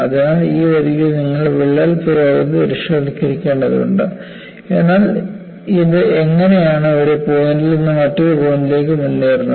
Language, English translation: Malayalam, So, you have to visualize the crack advances along this line, but how it advances from a point like this to another point